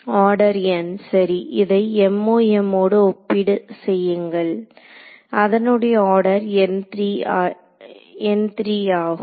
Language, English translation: Tamil, Order n right; so, compare this with MoM which is order n cube that is why this is fast